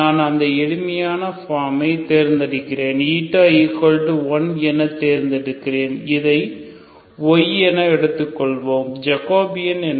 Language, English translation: Tamil, I choose the simpler form that is I simply choose as Y ok, if I choose this as Y, what is the Jacobian